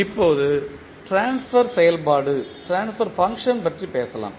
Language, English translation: Tamil, Now, let us talk about the Transfer Function